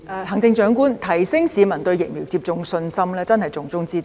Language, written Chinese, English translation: Cantonese, 行政長官，提升市民對疫苗接種的信心，真是重中之重。, Chief Executive it is the top priority to boost peoples confidence in vaccination